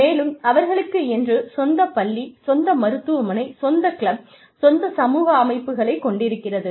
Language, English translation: Tamil, And, they have their own school, their own hospital, their own club, their own community system